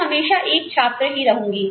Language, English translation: Hindi, I am always going to be a student